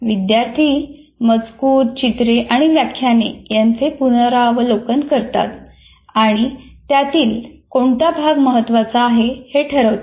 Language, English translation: Marathi, Students review texts, illustrations and lectures deciding which portions are critical and important